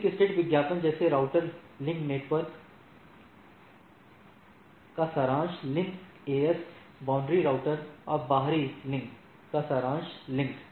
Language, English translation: Hindi, So, link state advertisement like, router link, network link, summary link to the network, summary link to AS boundary router and external link